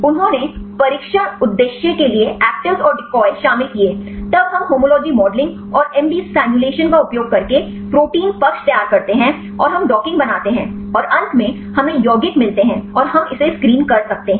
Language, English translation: Hindi, They included actives and decoys for the test purpose; then we prepare the protein side using the homology modeling and the MD simulations and we make the docking and finally, we get the compounds and we can screen it